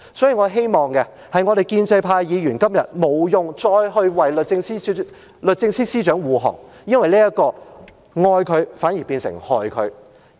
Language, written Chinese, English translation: Cantonese, 所以，我希望建制派議員今天不用再為律政司司長護航，因為這樣是"愛她反而變成害她"。, Therefore I hope that the pro - establishment camp Members no longer need to defend the Secretary for Justice today because this act will backfire on her